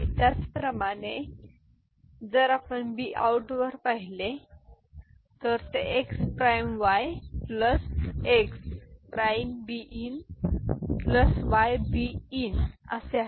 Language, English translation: Marathi, And similarly, if you look at b out, it is x prime y plus x prime b in plus y b in